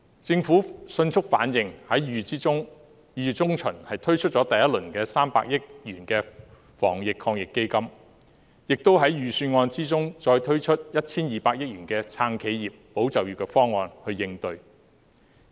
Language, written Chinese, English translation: Cantonese, 政府迅速反應，在2月中旬推出第一輪300億元的防疫抗疫基金，亦在預算案中再推出 1,200 億元的"撐企業、保就業"方案去應對。, Responding swiftly in mid - February the Government introduced the first round of the Anti - epidemic Fund AEF in the sum of 30 billion and further put forward in the Budget a corresponding proposal costing 120 billion to support enterprises and safeguard jobs